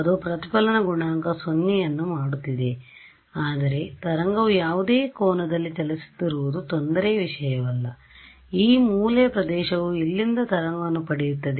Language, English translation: Kannada, That is making the reflection coefficient 0, but the wave is travelling at any angle does not matter the trouble is I mean the interesting thing happening at this corner region over here right